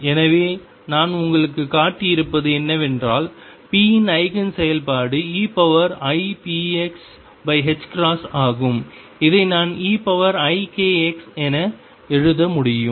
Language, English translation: Tamil, So, what I have shown you is that Eigen function of p is e raise to I p x over h cross Which I can write as e raise to I k x